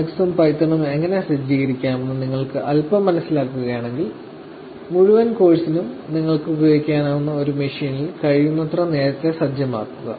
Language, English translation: Malayalam, If you can set things up if you can understand little bit about, how to set up Linux and python and set it up as earlier as possible in a machine that you would have a access to which you can use it for the entire course time